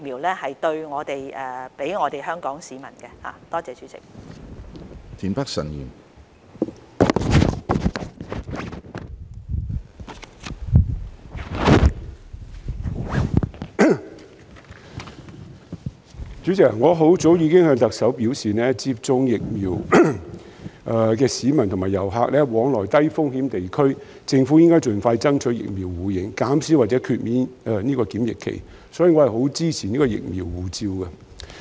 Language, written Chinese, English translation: Cantonese, 主席，我很早之前已向特首表示，為讓已接種疫苗的市民和遊客往來低風險地區，政府應該盡快爭取疫苗互認，減少或豁免檢疫期，所以我十分支持"疫苗護照"。, President it was a long time ago when I told the Chief Executive that in order to enable vaccinated members of the public and tourists to travel to and from low - risk areas the Government should push for the earliest mutual recognition of vaccination and thus reduction or waiving of quarantine . This explains why I strongly support vaccine passports